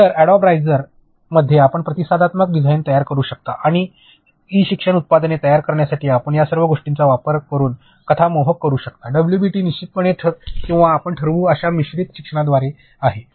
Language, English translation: Marathi, So, in Adobe rise you can create responsive design and for Adobe captivates storyline all of these you can use for creating e learning products, WBT is definitely or blended learning you can decide